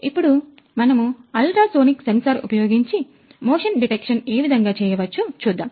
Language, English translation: Telugu, So, ultrasonic sensor, we have used to simulate motion detection